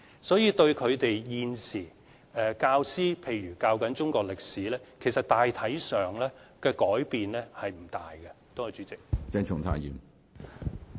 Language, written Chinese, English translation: Cantonese, 所以，對教師現時教授中國歷史科，大體上的改變其實並不大。, Hence generally speaking there will not be any drastic changes to the teaching of Chinese History itself